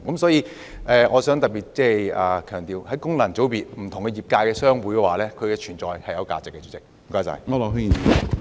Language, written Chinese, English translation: Cantonese, 所以，我想特別強調，功能界別議員代表不同業界的商會，因此是有存在價值的。, Hence I wish to particularly emphasize that Members returned by FCs represent trade associations in different sectors . For this reason they have their value of existence